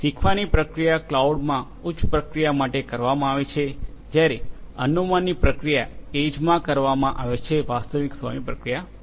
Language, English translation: Gujarati, The learning process is performed in the cloud for high end processing whereas; the inferencing process is conducted in the edge for real time processing